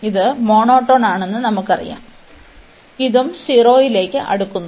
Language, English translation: Malayalam, And one we know that this is monotone, and this is bounded also approaching to 0